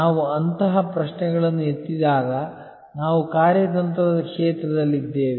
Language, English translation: Kannada, When we raise such questions, we are in the realm of strategy